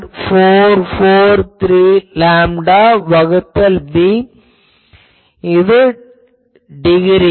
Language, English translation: Tamil, 443 lambda by b in degrees